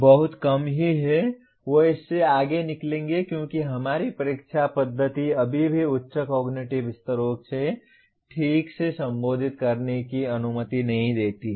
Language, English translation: Hindi, Very very rarely they will go beyond this because our examination methods still do not permit properly addressing the higher cognitive levels